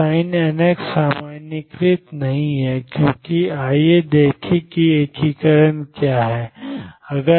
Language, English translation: Hindi, So, the sin n x is not normalized, because let us see what is the integration